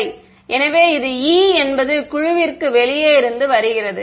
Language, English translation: Tamil, Ok; so, this is E which is coming out of the board